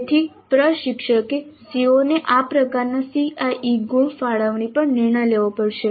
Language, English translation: Gujarati, So the instructor has to decide on this kind of CIE marks allocation to COs